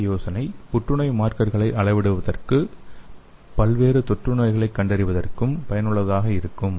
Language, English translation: Tamil, So the same idea could be useful for the measuring the tumor markers as well as for diagnosing various infectious diseases